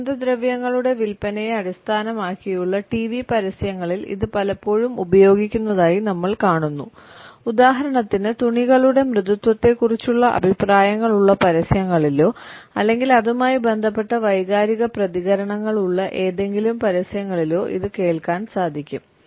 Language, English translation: Malayalam, We find it often used in TV advertisements which are based on the sales of perfumes or comments on the smoothness of fabric for example or any advertisement which has emotional reactions associated with it